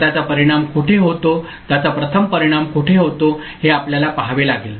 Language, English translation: Marathi, So, we have to see where it gets first affected, where it first affects